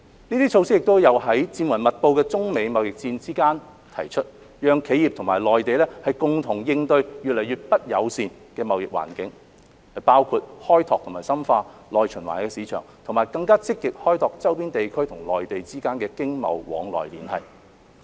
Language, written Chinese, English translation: Cantonese, 這些措施亦有在戰雲密布的中美貿易戰之間提出，讓企業和內地共同應對越來越不友善的貿易環境，包括開拓和深化內循環的市場，以及更積極開拓周邊地區和內地之間的經貿往來連繫。, These measures were also proposed in the midst of an imminent United States - China trade war so that enterprises and the Mainland could jointly cope with the increasingly hostile trade environment . These measures include exploring and deepening the domestic circulation market as well as exploring economic and trade ties between neighbouring regions and the Mainland more proactively